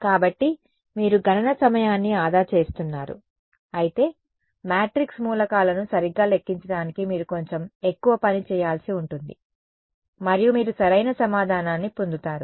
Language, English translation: Telugu, So, you are saving on computational time, but you have to do a little bit more work to calculate Amn the matrix elements right and you get the answer right